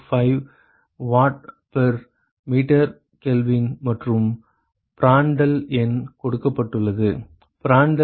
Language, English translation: Tamil, 645 watt per meter Kelvin and Prandtl number is given, Prandtl number is 4